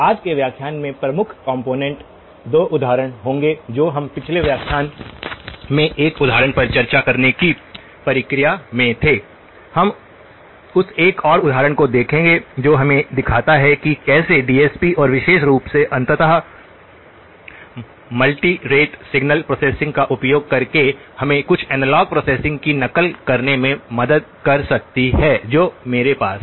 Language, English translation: Hindi, The key components from today's lecture will be the 2 examples we were in the process of discussing one of the examples in the last lecture, we will complete that look at one more example which shows us that how using DSP and in particular eventually, multi rate signal processing can help us mimic some of the analogue processing that we have